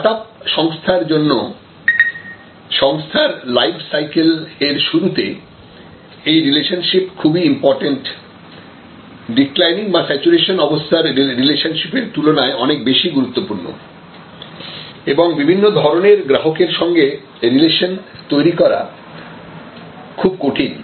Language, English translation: Bengali, So, for startups, for at the begging of the life cycle of organization, these relationships are highly, highly valuable much more valuable than at the declining stage or at the saturation stage and it is difficult to create relationship with a large variety of customers